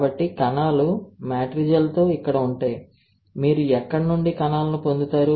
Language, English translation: Telugu, So, cells would be here with matrigel where from where you get the cells